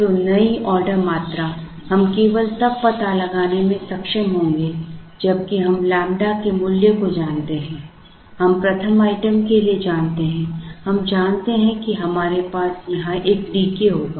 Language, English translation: Hindi, So, the new order quantity we will be able to find out only if we know the value of lambda, we know for the 1st item we know we will have a D k here